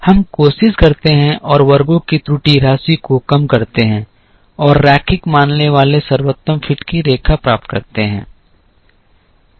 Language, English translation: Hindi, Then, we try and minimize the error sum of squares and get the line of best fit assuming linear